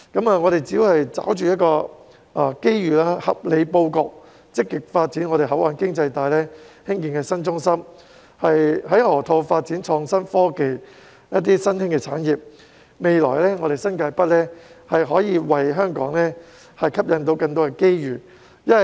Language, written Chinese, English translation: Cantonese, 我們只要抓着機遇，合理布局，積極發展本港的口岸經濟帶，興建新中心，在河套發展創新科技及新興產業，新界北在未來將可以為香港吸引更多機遇。, As long as we grasp the opportunities make a reasonable layout proactively develop the port economic belt in Hong Kong build a new centre as well as develop innovation and technology and emerging industries in the Loop New Territories North will be able to attract more opportunities for Hong Kong in the future